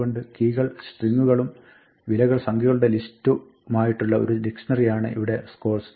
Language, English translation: Malayalam, So, this score is a dictionary whose keys are strings and whose values are lists of numbers